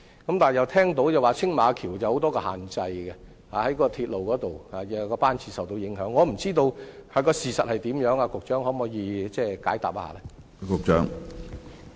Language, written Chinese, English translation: Cantonese, 但是，有說青馬大橋有很多限制，鐵路方面的班次又受到某些因素所影響，我不知道事實是怎樣，局長可否解答一下？, But it is heard that the Tsing Ma Bridge is subject to a lot of restrictions while the train frequency is also affected by certain factors . As I learn nothing about the fact can the Secretary offer an explanation?